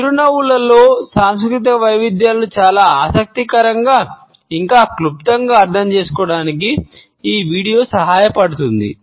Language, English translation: Telugu, This video helps us to understand cultural variations in smiles in a very interesting, yet succinct manner